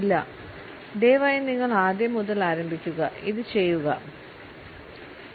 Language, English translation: Malayalam, No please you start from the very beginning just do this go ha ha ha ha